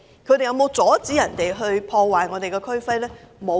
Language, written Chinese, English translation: Cantonese, 他們有否阻止暴徒破壞我們的區徽呢？, Have they stopped rioters from damaging our regional emblem?